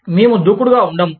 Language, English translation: Telugu, We will not become aggressive